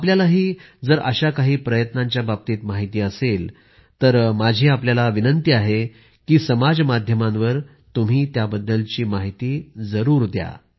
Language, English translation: Marathi, If you are aware of other such initiatives, I urge you to certainly share that on social media